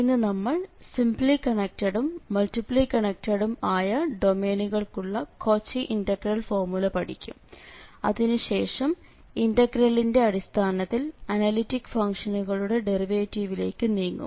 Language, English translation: Malayalam, So today we will cover the Cauchy integral formula for simply and multiply connected domains and then we will move to the derivative of analytic functions in terms of the integral we will see that we can find the derivative of an analytic function